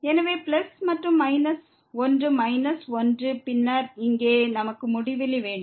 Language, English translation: Tamil, So, plus and into minus one is minus one and then, here we have infinity